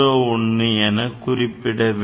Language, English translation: Tamil, 01 so, that is the least count